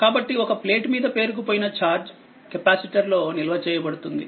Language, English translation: Telugu, So, we can say that that the charge accumulates on one plate is stored in the capacitor